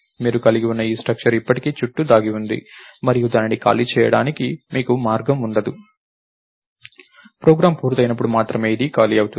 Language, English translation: Telugu, structure that you had is still going to lurk around and you will have no way to free it, this will get freed only when the program gets ah